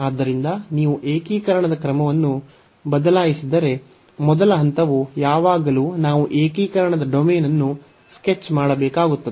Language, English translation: Kannada, So, if you change the order of integration the first step is going to be always that we have to the sketch the domain of integration